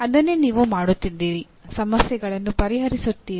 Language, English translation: Kannada, That is what you are doing, solving problems